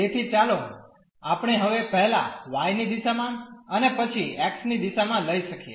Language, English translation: Gujarati, So, we can let us take now first in the direction of y, and then in the direction of x